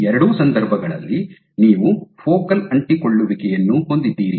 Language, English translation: Kannada, Both these cases you have focal adhesions